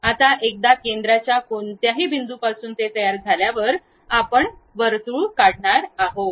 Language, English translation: Marathi, Now, once center is constructed from any point of that, you are going to draw a circle